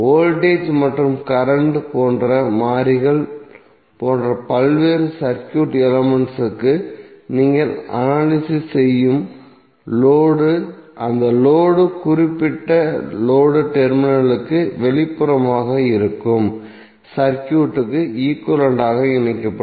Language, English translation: Tamil, So in that way the load which you are analyzing for various circuit elements like the variables like voltage and current, you will keep that load connected with the equivalent of the circuit which is external to that particular load terminal